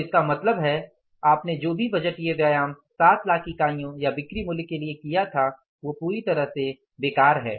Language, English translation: Hindi, So, it means whatever the budgeted budgetary exercise you did at the level of 7 lakh units or 7 lakh worth of sales that is totally useless